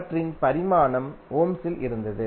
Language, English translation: Tamil, The dimension of those was in ohms